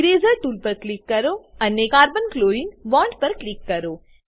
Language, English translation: Gujarati, Click on Eraser tool and click on Carbon chlorine bond